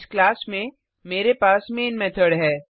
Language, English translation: Hindi, In this class I have the main method